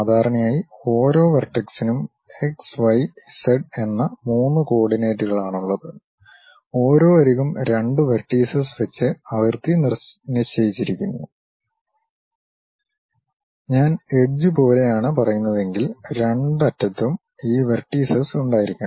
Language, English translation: Malayalam, Usually, each vertex has 3 coordinates x, y, z and each edge is delimited by two vertices; if I am saying something like edge; both the ends supposed to have these vertices